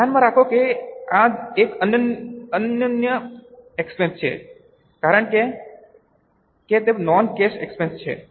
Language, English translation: Gujarati, Keep in mind that this is a unique expense because it is a non cash expense